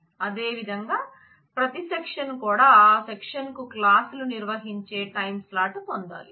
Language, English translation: Telugu, Similarly, every section must get a timeslot where the classes for that section is held